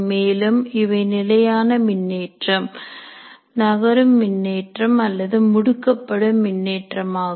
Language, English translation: Tamil, And electric charges can be static charges, moving charges or accelerating charges